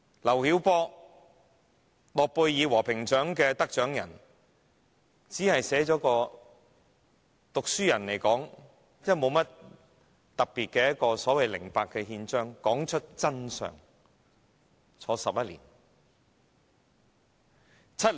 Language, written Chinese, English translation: Cantonese, 諾貝爾和平獎得獎人劉曉波，只是以讀書人身份寫了一份《零八憲章》，道出真相，便被判監11年。, Nobel Peace Prize Laureate LIU Xiaobo was sentenced to 11 years in jail purely for in his capacity as scholar writing Charter 08 to tell the truth